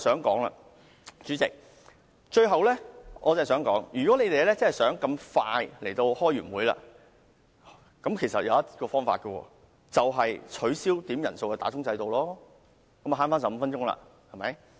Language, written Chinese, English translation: Cantonese, 代理主席，我最後想說的是，要是你們真的想那麼快便完會，其實有一個方法，便是取消點算法定人數的制度，這樣便能省回15分鐘了，對嗎？, Deputy President one last thing I want to say is if you the royalists are really that eager to conclude meetings so quickly there is actually a way to this end that is to abolish quorum calls in order to save 15 minutes